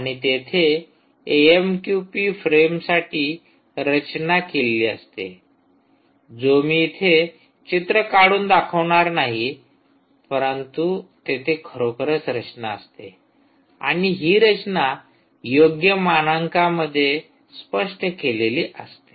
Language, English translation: Marathi, and there is again a structure for the amqp frames which i will not draw, but there is indeed a structure, and this structure is what is well defined in the standard